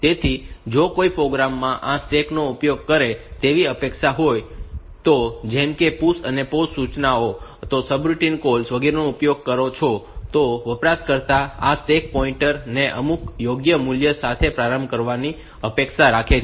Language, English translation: Gujarati, So, the at the beginning of the program if the if a if a program is expected to use this stack like say you use the PUSH and POP instructions subroutine calls etcetera, then the user is expected to initialize this stack pointer to some proper value